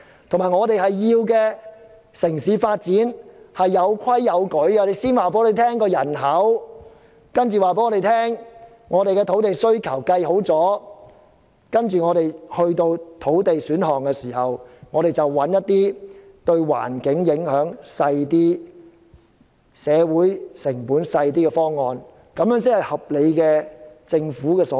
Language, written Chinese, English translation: Cantonese, 再者，我們要求城市有規有矩的發展，請先告訴我們香港會有多少人口，計算好土地需求，作出造地選項後，再找出一些對環境及社會成本影響較少的方案，這才是政府的合理作為。, Moreover we demand that the city should be developed in an orderly manner . The Government should first tell us the projected population of Hong Kong and the appropriate amount of land needed and after identifying the options to create land it should look for ways that will incur less environmental and social costs . The Government should act in such a reasonable manner